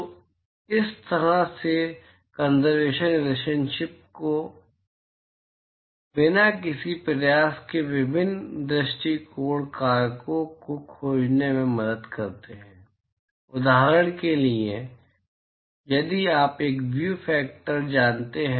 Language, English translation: Hindi, So, such conservation relationship helps you in finding various view factors with almost no effort